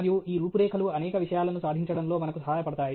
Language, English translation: Telugu, And this outline helps us accomplish several things